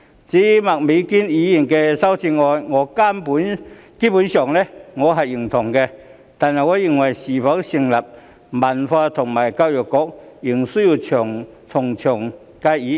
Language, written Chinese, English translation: Cantonese, 至於麥美娟議員的修正案，我基本上認同，但卻認為是否成立文化及體育局，仍須從長計議。, As for Ms Alice MAKs amendment I basically agree with her but I think that further consideration and discussion are needed with regard to her suggestion of establishing a Culture and Sports Bureau